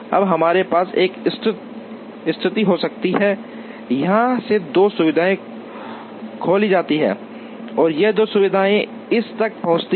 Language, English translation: Hindi, Now, we can have a situation, where both these facilities are opened and both these facilities transport to this